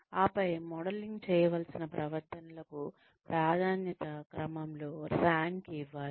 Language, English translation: Telugu, And then, the behaviors to be modelled, should be ranked, in order of priority